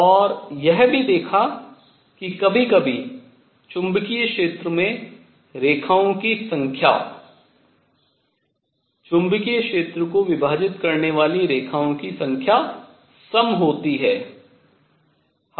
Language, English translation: Hindi, And also saw that at times the number of lines in magnetic field number of lines split magnetic field were even